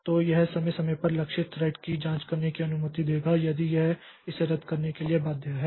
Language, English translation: Hindi, So, this deferred cancellation, so this will allow the target thread to periodically check if it is bound to it should be canceled